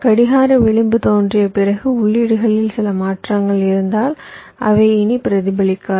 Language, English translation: Tamil, so, after the clock edge appears, if there are some changes in the inputs, that will no longer be reflected